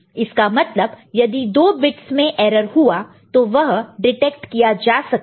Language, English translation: Hindi, So, if there are 2 bits erroneous definitely we can see that it will be detected